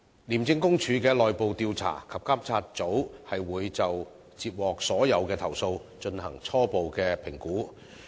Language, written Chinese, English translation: Cantonese, 廉政公署的內部調查及監察組會就接獲的所有投訴，進行初步評估。, Upon receipt of all complaints the Internal Investigation and Monitoring Group IIMG of ICAC will conduct a preliminary assessment